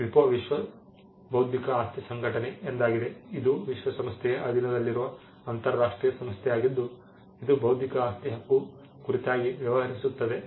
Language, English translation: Kannada, The WIPO, which stands for World Intellectual Property Organization, which is an international organization under the United Nations which deals with intellectual property rights